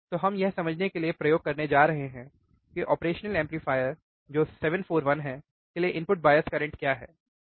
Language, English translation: Hindi, So, we are going to we are going to perform the experiment to understand what is the input bias current for the operational amplifier that is 741